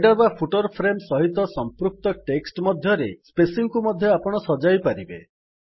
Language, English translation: Odia, You can also adjust the spacing of the text relative to the header or footer frame